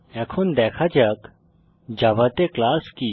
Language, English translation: Bengali, Now let us see what is the class in Java